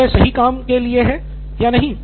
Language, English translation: Hindi, Whether it is for the right thing to do or not